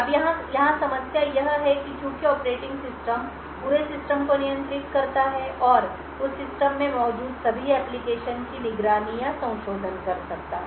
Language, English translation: Hindi, Now the problem over here is that since the operating system controls the entire system and can monitor or modify all applications present in that system